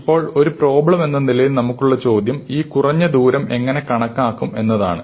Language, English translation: Malayalam, Now, the question that we have as an algorithm problem is how to compute this minimum distance, right